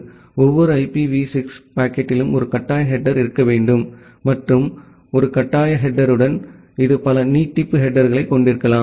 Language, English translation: Tamil, Every IPv6 packet should have one mandatory header and along with one mandatory header, it can have multiple extension headers